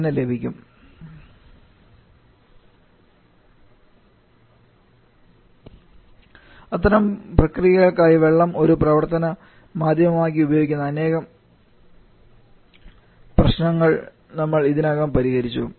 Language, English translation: Malayalam, You have already solved in a problem using water as a working medium for such kind of processes